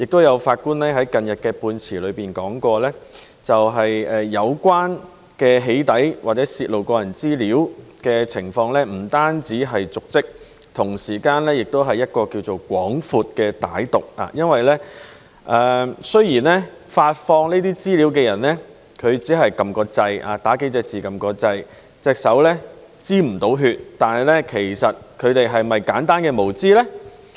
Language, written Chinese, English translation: Cantonese, 有法官近日在判詞裏提到，有關的"起底"或泄露個人資料的行為不單瀆職，同時其目的是更為廣闊和歹毒的，雖然發放資料的人只是輸入數個字然後按掣，手不沾血，但其實她是否出於簡單的無知呢？, A judge recently said in a ruling that the act of doxxing or disclosure of personal data is not only a dereliction of duty but also of a broader and more malicious intent . Although the person who released the information just typed a few words and then pressed the button and that she would not have blood on her hands was her action simply out of ignorance?